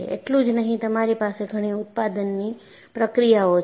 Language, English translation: Gujarati, Not only this, you have several manufacturing processes